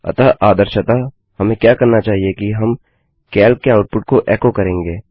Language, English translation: Hindi, So what we would ideally do is we will echo what has been out put from calc